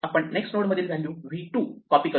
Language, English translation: Marathi, What we do is we copy the value v 2 from the next node and then